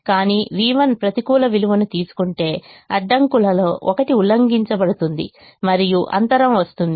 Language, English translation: Telugu, but if v one takes a negative value, one of the constraints is violated and there is a gap